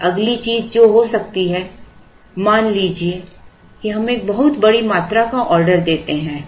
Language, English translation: Hindi, Now, the next thing that can happen is suppose we order a very large quantity Q